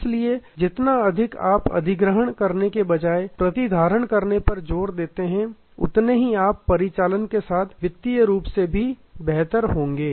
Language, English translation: Hindi, Therefore, the more emphasis you do to retention rather than to acquisition, you will be better of operationally as well as financially